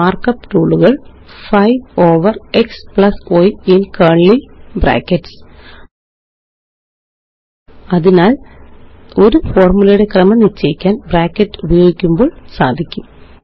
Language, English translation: Malayalam, And the mark up looks like: 5 over x+y in curly brackets So using brackets can help set the order of operation in a formula